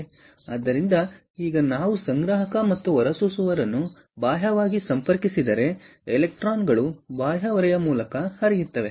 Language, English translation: Kannada, so therefore, now, if we connect the collector and the emitter externally, the electrons will tend to flow through the external load